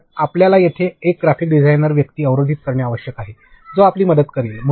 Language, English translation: Marathi, So, you have to block one designer over there graphics person, who is going to help you out